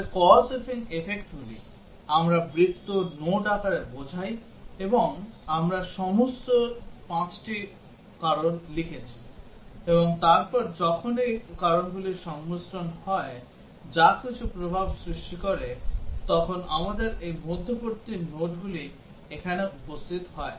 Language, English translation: Bengali, So, the causes and the effects, we denote in the form of circles, nodes and we have written all the 5 causes, and then whenever there are combinations of causes which produce some effect then we have this intermediate nodes appearing here